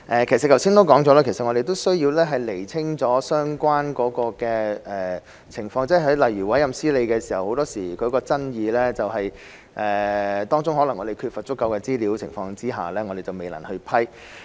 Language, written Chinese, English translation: Cantonese, 其實我剛才已指出，我們需要先釐清相關情況，例如委任司理時經常會出現爭議，我們可能在缺乏足夠資料的情況下未能批核。, In fact as I pointed out just now we need to clarify the relevant situation first . For example there are often controversies when appointing managers and we may not be able to approve the appointment without sufficient information